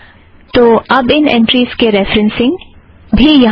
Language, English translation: Hindi, So now the referencing of these entries are also here